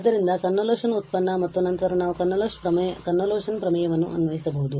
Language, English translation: Kannada, So, the convolution product and then we can apply the convolution theorem